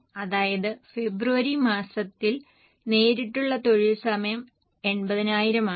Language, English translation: Malayalam, That means for the month of February the direct labour hours required are 80,000